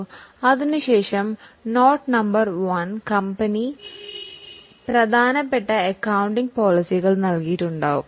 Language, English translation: Malayalam, After the financial statement in the note number one, company would have given important accounting policies